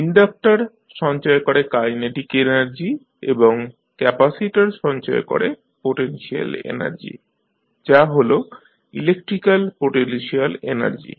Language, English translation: Bengali, Now, the inductor stores the kinetic energy and capacitor stores the potential energy that is electrical potential energy